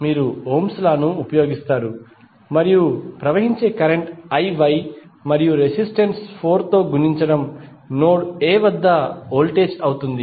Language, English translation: Telugu, You will use Ohm's law and whatever the current is flowing that is I Y and multiplied by the resistance 4 would be the voltage at node A